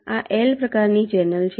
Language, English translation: Gujarati, this is the l type channel